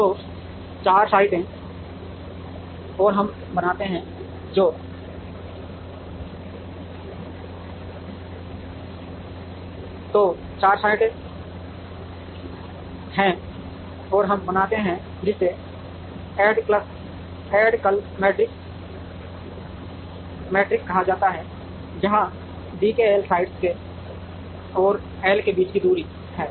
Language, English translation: Hindi, So, there are 4 sites and we create what is called a d k l matrix, where d k l is the distance between sites k and l